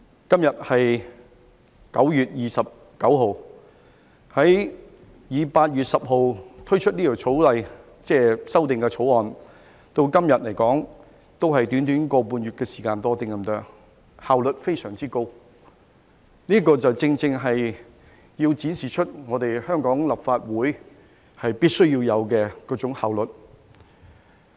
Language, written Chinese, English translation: Cantonese, 今天是9月29日，以8月10日推出《條例草案》至今，只是短短1個半月時間多一點，效率非常高，這正正展示出香港立法會必須要有的效率。, It has only been a little more than one and a half months since the introduction of the Bill on 10 August . This is highly efficient . This precisely shows the efficiency that the Legislative Council of Hong Kong should have